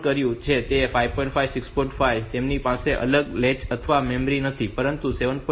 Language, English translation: Gujarati, 5 they do not have any separate latch or memory, but 7